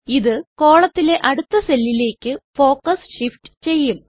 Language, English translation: Malayalam, This will shift the focus to the next cell in the column